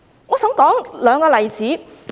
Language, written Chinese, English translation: Cantonese, 我想提出兩個例子。, I would like to cite two examples